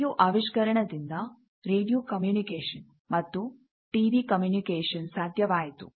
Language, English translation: Kannada, Now, due to invention of radio, this radio communication, TV communication; these became possible